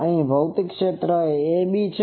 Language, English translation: Gujarati, Physical area is ab